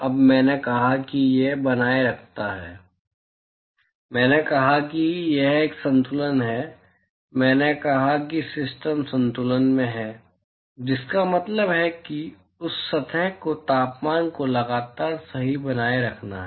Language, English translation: Hindi, Now, I said that it maintaining, I said that it is an equilibrium; I said that the system is in equilibrium, which means that the temperature of that surface has to be maintained constant right